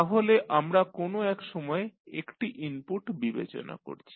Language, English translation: Bengali, So, we are considering one input at a time